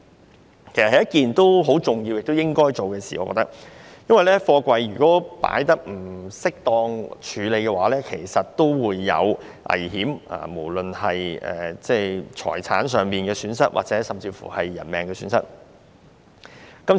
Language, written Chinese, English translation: Cantonese, 我認為，此事十分重要，亦應該進行，因為貨櫃如果放置或處理不當，便會產生危險，有可能導致財產甚或人命損失。, In my view this exercise is very important and should be taken forward because the improper placement or handling of containers will pose danger and may even lead to a loss of property or life